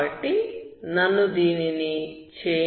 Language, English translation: Telugu, So let me do this